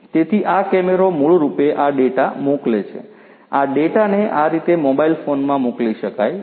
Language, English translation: Gujarati, So, this camera basically sends this data to, this data could be sent to a mobile phone like this